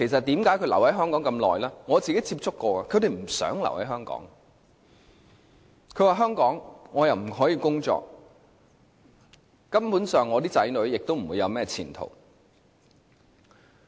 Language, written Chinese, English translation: Cantonese, 我曾與他們接觸，他們都不想留在香港，說在香港不可以工作，子女亦不會有甚麼前途。, I got in touch with some of them . They say that they also dont want to stay in Hong Kong because they are not permitted to work here and their children will not have a future here